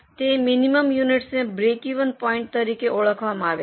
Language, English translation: Gujarati, Those minimum units are known as break even point